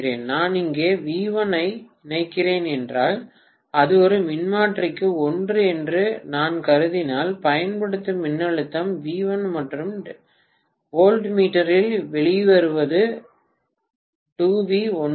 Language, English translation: Tamil, And if I assume that it is a one is to one transformer if I am connecting V1 here, voltage applied is V1 and what is coming out on the voltmeter is 2V1